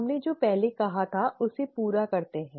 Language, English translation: Hindi, Let us finish up with what we said earlier